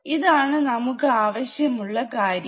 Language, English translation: Malayalam, Now this is what we want